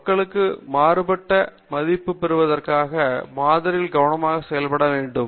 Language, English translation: Tamil, And in order to get a liable estimate on the population the sample should be done carefully